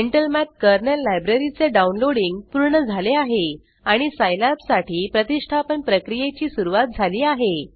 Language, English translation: Marathi, Downloading of Intel Math Kernal Library has completed and the installation procedure for scilab has started